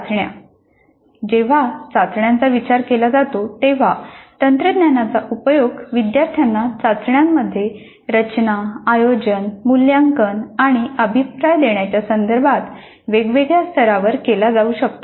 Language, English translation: Marathi, Then tests when it comes to test technologies can be used at different levels with regard to designing, conducting, evaluating and giving feedback in test to the students